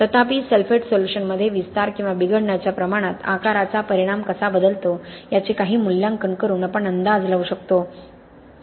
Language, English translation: Marathi, However, we can come up with estimates by doing some assessment of how does the size effect change the extent of expansion or deterioration in sulphate solution